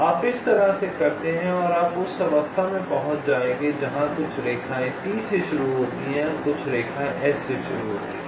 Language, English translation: Hindi, you do in this way and you will reaches stage where some line starting with from t and some line starting with s will intersect